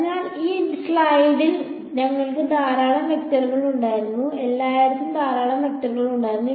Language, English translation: Malayalam, So, let us let us just make it concrete we had a lot of vectors in a in this slide we had a lot of vectors everywhere